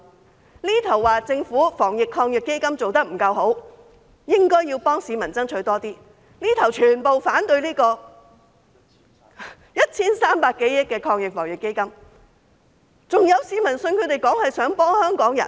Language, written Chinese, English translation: Cantonese, 這邊廂說政府的防疫抗疫基金做得不夠好，應該要幫市民爭取更多，那邊廂則全部反對 1,300 多億元的防疫抗疫基金，這樣還有市民相信他們是想幫香港人？, On the one hand they said the Governments Anti - epidemic Fund AEF was not good enough and they should help the public fight for more while on the other hand they opposed the entire 130 billion AEF . Is there still anyone who believes that they want to help Hong Kong people?